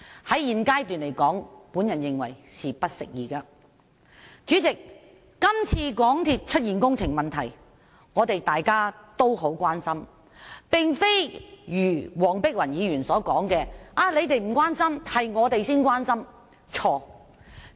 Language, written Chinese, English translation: Cantonese, 主席，今次香港鐵路有限公司出現工程問題，大家都十分關心，並非如黃碧雲議員所說的我們不關心，他們才關心。, President all of us are very concerned about the works problems of the MTR Corporation Limited MTRCL in this incident . Dr Helena WONG was wrong to say that we did not show any concern and only they were concerned about the issue